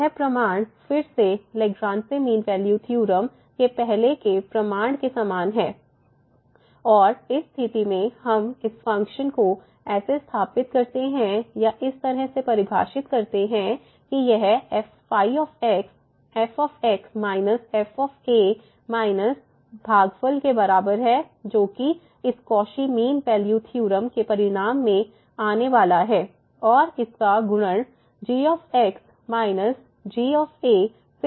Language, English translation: Hindi, So, the proof is again pretty similar to the earlier proof of the Lagrange mean value theorem and in this case we set this function or define a function in such a way that this is equal to minus minus this quotient here which will be coming in the result of this Cauchy mean value theorem and multiplied by minus